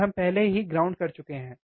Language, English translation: Hindi, And we already have grounded